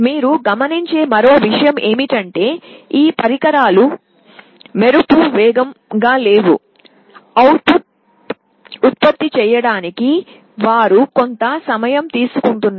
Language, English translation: Telugu, The other point you note is that these devices are not lightning fast; they take a little time to generate the output